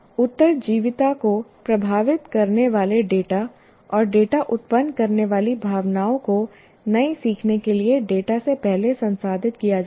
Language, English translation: Hindi, And data affecting the survival and data generating emotions are processed ahead of data for new learning